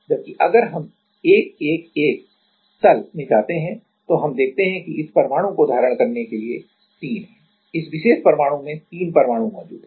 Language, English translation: Hindi, Whereas, if we go to 1 1 1 plane, then we see that the there are three for to hold this atom this particular atom there are three atoms present